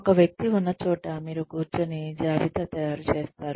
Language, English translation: Telugu, Where a person is, you sit down and a list is made